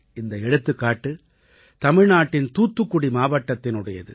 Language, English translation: Tamil, This is the example of Thoothukudi district of Tamil Nadu